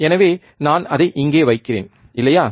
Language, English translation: Tamil, So, I am placing it here, right